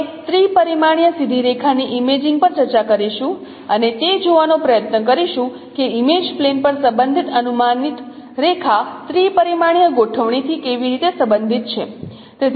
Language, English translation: Gujarati, We will discuss on imaging of a three dimensional straight line and try to see how the corresponding projected line on the image plane is related to the three dimensional configuration